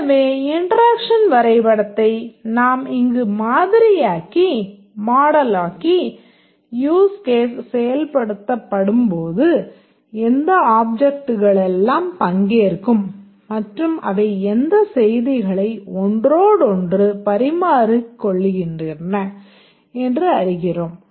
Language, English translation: Tamil, So we model here using interaction diagram that when a use case executes what are the objects that take part and what messages they interchange among each other